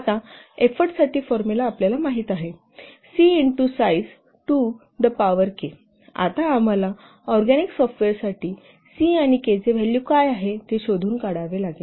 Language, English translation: Marathi, So now for report the formula you know, C into size to the power K, now we have to find out what is the value of C and K for the organic software